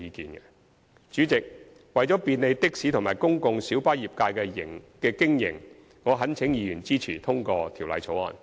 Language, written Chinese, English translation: Cantonese, 代理主席，為便利的士及公共小巴業界的經營，我懇請議員支持通過《條例草案》。, Deputy President for the sake of facilitating the operation of the taxi and PLB trades I implore Members to support the passage of the Bill